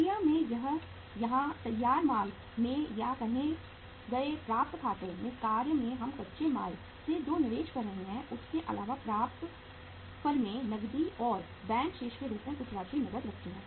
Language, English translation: Hindi, Apart from the investment we are making in the raw material in the work in process or in the finished goods or in the say uh accounts receivable firms keep some amount of cash as cash and bank balance right